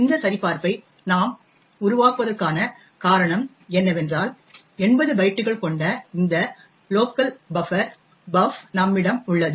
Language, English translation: Tamil, The reason we create this check is that we have this local buffer buf which is of 80 bytes